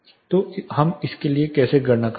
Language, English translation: Hindi, So, how do we calculate for this